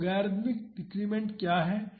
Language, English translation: Hindi, So, what is logarithmic decrement